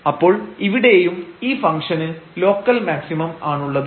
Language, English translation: Malayalam, So, here also there is a local maximum of this function